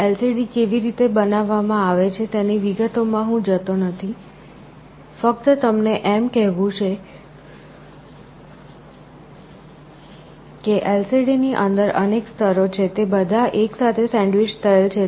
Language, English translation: Gujarati, I am not going into the details of how LCDs are constructed; just like to tell you that LCD has a number of layers inside it, they are all sandwiched together